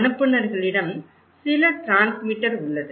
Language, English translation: Tamil, What senders they do, they have some transmitter